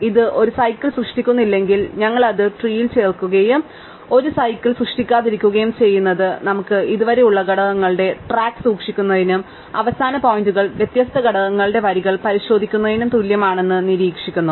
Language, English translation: Malayalam, So, each edge we pick up, if it does not create a cycle, we add it to the tree and we observe that not creating a cycle is as same as keeping track of the components that we have so far, and checking that the end points line different components